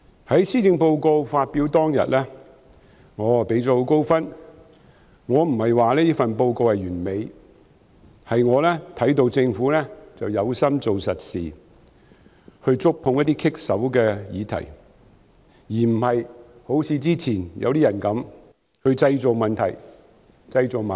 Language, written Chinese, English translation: Cantonese, 在施政報告發表當天，我給它很高分數，並非因為這份施政報告完美，而是我看到政府有心做實事，願意觸碰一些棘手的議題，並不是好像以前一些人般製造問題和矛盾。, On the day when the Policy Address was presented I sang high praises of it not because this Policy Address is perfect but because I see that the Government is committed to doing solid work willing to touch some thorny issues unlike some people in the past who created problems and conflicts